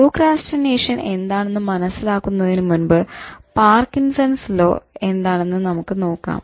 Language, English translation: Malayalam, So, before that, in order to understand procrastination, beware of Parkinson's law